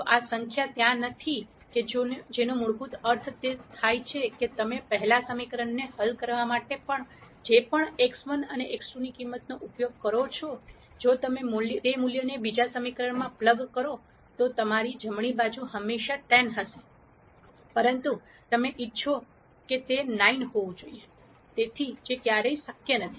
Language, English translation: Gujarati, If this number is not there that basically means whatever x 1 and x 2 values that you use for solving the first equation, If you plug that value into the second equation, your right hand side will always be 10, but you want it to be 9; so which is never possible